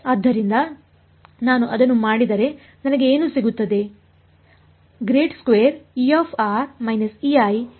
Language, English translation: Kannada, So, if I do that what do I get is